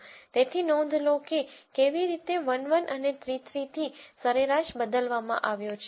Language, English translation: Gujarati, So, notice how from 1 1 and 3 3 the mean has been updated